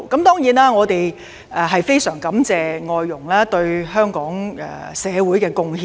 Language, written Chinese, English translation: Cantonese, 當然，我們非常感謝外傭對香港社會的貢獻。, We are certainly very grateful to FDHs for their contribution to Hong Kongs society